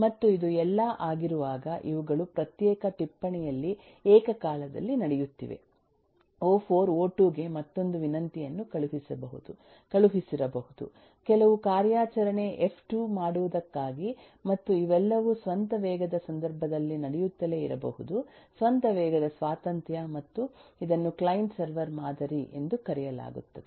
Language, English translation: Kannada, on a separate note, o4 may have sent another request to o2 for doing some operation f2 and all these can keep on happening at the own speed case, at the own speed independence, and this is what is known as the client server model